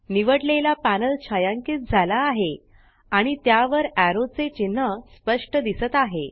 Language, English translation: Marathi, The chosen panel is shaded and a clear arrow sign appears over it